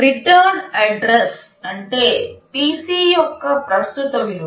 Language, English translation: Telugu, Return address means the current value of PC